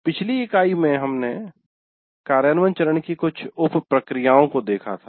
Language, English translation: Hindi, And in the earlier unit, we looked at some of the sub processes of implement phase